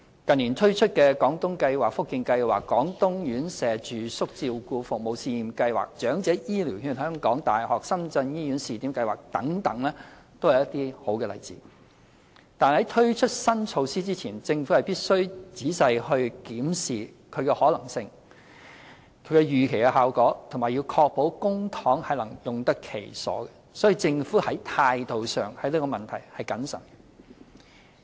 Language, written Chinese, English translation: Cantonese, 近年推出的"廣東計劃"、"福建計劃"、"廣東院舍住宿照顧服務試驗計劃"、"長者醫療券香港大學深圳醫院試點計劃"等都是一些好例子，但在推出新措施前，政府必須仔細檢視其可行性及預期效果，並確保公帑能用得其所，所以，政府在這個問題上的態度是謹慎的。, The schemes launched in recent years for example the Guangdong Scheme the Fujian Scheme the Pilot Residential Care Services Scheme in Guangdong and the Pilot Scheme for Use of Elderly Health Care Voucher at the University of Hong Kong - Shenzhen Hospital are some good examples . However before launching any new measures the Government needs to carefully examine the feasibility and expected outcome and ensure proper use of public funds . That is why the Government remains prudent about this issue